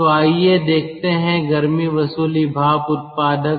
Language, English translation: Hindi, that is called heat recovery steam generator